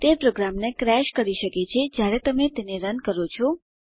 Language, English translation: Gujarati, It may crash the program when you run it